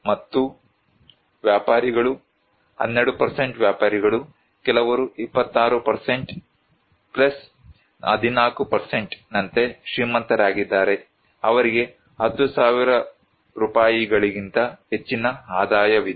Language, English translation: Kannada, And traders; 12% are traders, some people are rich like 26% + 14%, they have more income than 10,000 rupees